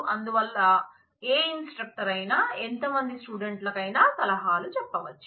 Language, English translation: Telugu, So, any instructor can advise any number of students